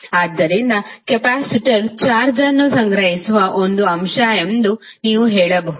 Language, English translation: Kannada, So, therefore you can say that capacitor is an element which stores charges